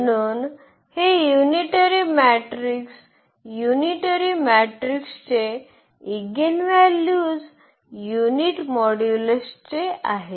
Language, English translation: Marathi, So this unitary matrix the eigenvalues of the unitary matrix are of unit modulus